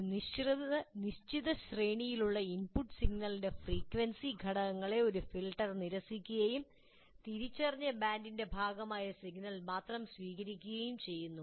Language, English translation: Malayalam, A filter is, it rejects components of the input signal which belong to a certain range of frequencies and accepts only the signal that is part of an identified band